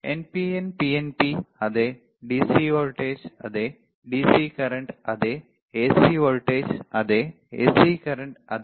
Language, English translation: Malayalam, NPN PNP yes, DC voltage yes, DC current yes, AC voltage yes, AC current yes